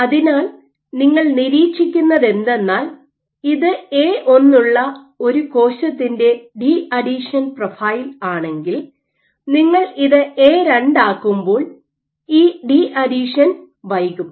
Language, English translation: Malayalam, So, what you will observe is if this is the profile, deadhesion profile for a given cell with A1 as you make it A2, so what you will see is this deadhesion will be delayed